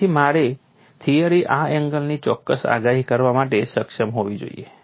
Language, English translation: Gujarati, So, my theory should be able to predict this angle precisely